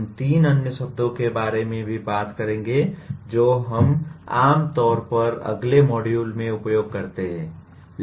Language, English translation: Hindi, We will also be talking about three other words that we normally use in the next module